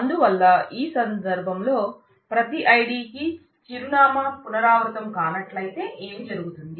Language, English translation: Telugu, So, in that case what will happen if the for every ID the address will not be repeated